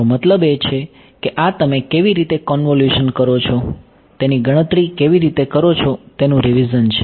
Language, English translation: Gujarati, I mean this is a revision of how you calculate how you do a convolution right